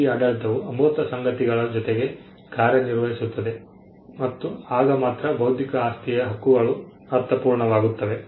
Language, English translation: Kannada, This regime acts this regime acts along with the intangible things and only then intellectual property rights make sense